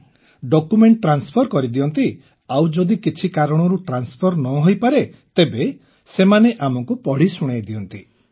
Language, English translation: Odia, Yes…Yes… We also transfer documents and if they are unable to transfer, they read out and tell us